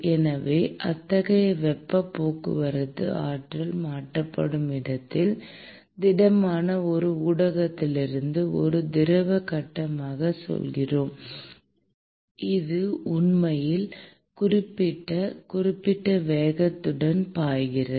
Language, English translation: Tamil, So, such kind of a heat transport, where the energy is transferred let us say from one medium which is solid into a fluid phase, which is actually flowing due to certain /with the certain velocity